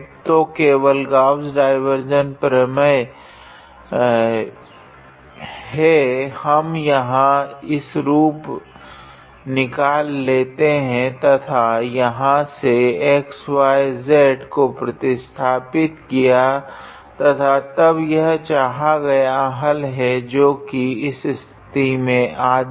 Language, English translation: Hindi, So, just applying the Gauss divergence theorem, we were able to obtain this form here and from there just substitute the values of xy and z and then that will give us the required answer which is half in this case